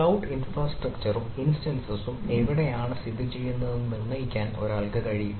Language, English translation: Malayalam, one is that: can one determine where the cloud infrastructure and instance is located